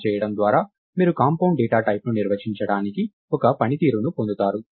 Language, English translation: Telugu, So, by doing this you get a mechanism for defining compound data types